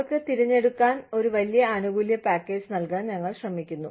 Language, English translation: Malayalam, We are trying to give them, a big benefits package, to choose from